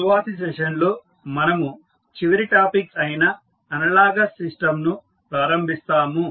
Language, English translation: Telugu, In the next session we will start our last topic that is the analogous system